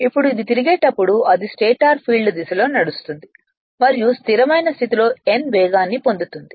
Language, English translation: Telugu, Now if it rotate it runs in the direction of the stator field and acquire a steady state speed of n right